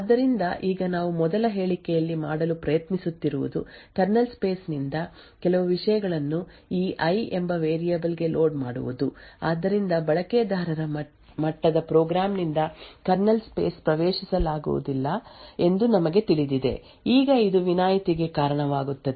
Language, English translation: Kannada, So now what we are trying to do in the first statement is load some contents from the kernel space into this variable called i, so as we know that the kernel space is not accessible from a user level program, now this would result in an exception to be thrown and the program would terminate